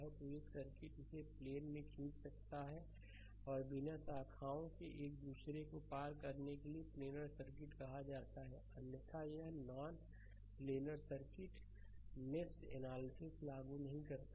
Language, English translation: Hindi, So, a circuit you can draw it in plane and with no branches crossing one another is called planar circuit otherwise it is non planar circuit you cannot apply your ah mesh analysis right